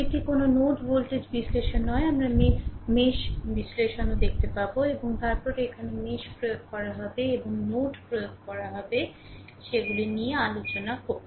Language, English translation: Bengali, This is not a node voltage analysis we will see mesh analysis also and then the then here we will apply mesh and we will apply node we will discuss those things right